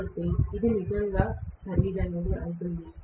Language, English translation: Telugu, So, it is going to be really expensive